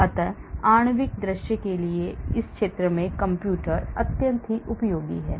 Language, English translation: Hindi, so computers are extremely useful in this area for molecular visualization